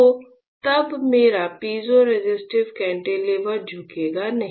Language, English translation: Hindi, So, then my piezoresistive cantilever will not bend